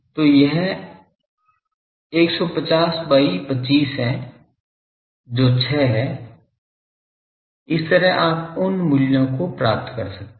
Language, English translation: Hindi, So, it is 150 by 25 that is 6 , like that you can get those values